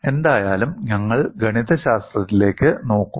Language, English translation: Malayalam, Anyway, we will look at the mathematics